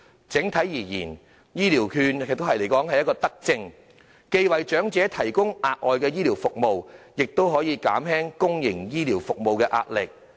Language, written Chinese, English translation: Cantonese, 整體而言，醫療券是一項德政，既為長者提供額外的醫療服務，亦可減輕公營醫療服務的壓力。, Generally speaking the provision of healthcare vouchers is a benevolent policy for it provides extra healthcare services to elderly persons while alleviating the pressure on public healthcare services